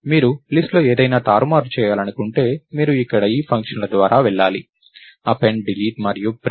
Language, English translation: Telugu, So, if you want to manipulate anything in the list, you have to go through these functions here; Append, Delete and Print